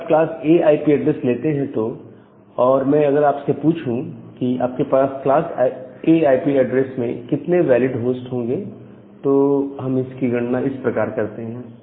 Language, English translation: Hindi, So, if you just take a class A IP address, and if I ask you that how many number of valid host can be there in case of a class A IP address